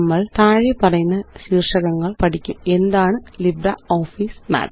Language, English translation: Malayalam, We will learn the following topics: What is LibreOffice Math